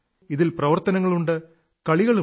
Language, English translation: Malayalam, In this, there are activities too and games as well